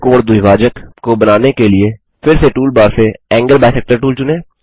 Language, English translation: Hindi, Lets select the Angle bisector tool again from the tool bar to construct second angle bisector